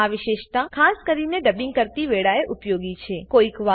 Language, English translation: Gujarati, This feature is particularly useful while dubbing